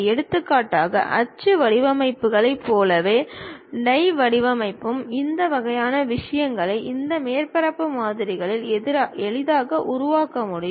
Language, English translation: Tamil, For example: like mold designs, die design this kind of things can be easily constructed by this surface models